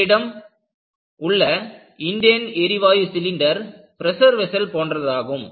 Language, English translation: Tamil, You have the Indane gas cylinder, it is a pressure vessel